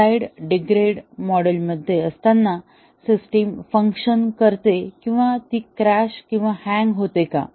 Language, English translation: Marathi, Does the system still function even though in a slightly degraded mode or does it go into a crash or a hang